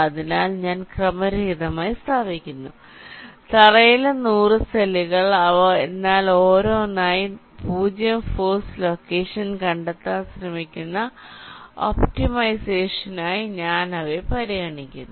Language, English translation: Malayalam, so i am randomly placing the hundreds cells on the floor, but one by one i am considering them for optimization, trying to find out the zero force location